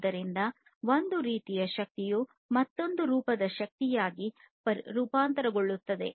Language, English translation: Kannada, So, one form of energy is transformed to another form of energy